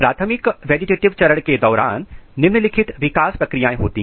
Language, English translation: Hindi, During primary vegetative phase following developments occurs